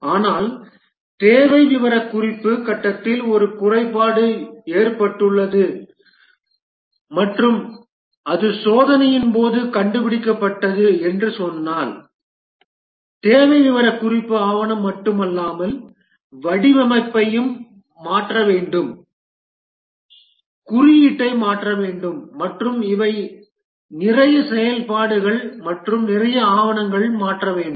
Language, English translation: Tamil, But if, let's say, a defect occurs in the requirement specification phase and it is discovered during testing, then not only the requirement specification document has to change, the design needs to be changed, the code needs to be changed and these are lot of activities and lot of documents need to change